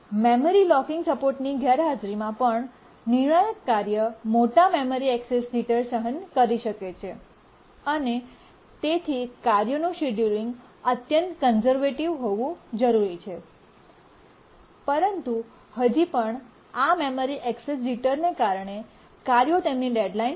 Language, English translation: Gujarati, In the absence of memory locking support, even the critical tasks can suffer large memory access jitter and therefore the task scheduling has to be extremely conservative and still the tasks may miss their deadline because of this memory access jitter